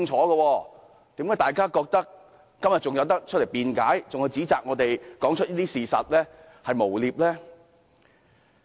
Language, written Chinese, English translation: Cantonese, 為何大家仍然覺得，今天可以出來辯解並指責我們說出事實是一種誣衊行為？, Why do they still consider that they can find some excuses as explanations today and accuse us of slander when we are telling the truth?